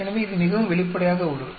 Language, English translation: Tamil, So, it is very straight forward